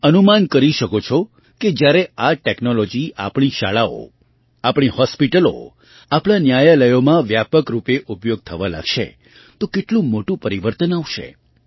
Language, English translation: Gujarati, You can imagine how big a change would take place when this technology starts being widely used in our schools, our hospitals, our courts